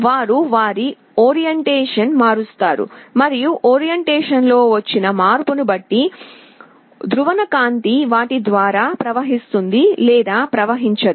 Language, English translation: Telugu, They will change their orientation, and depending on the change in orientation, the polarized light will either flow or a not flow through them